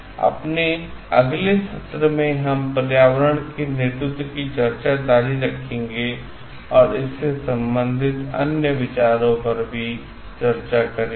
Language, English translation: Hindi, In our next session, we will continue with the discussion of environmental leadership and we will discuss cases about it also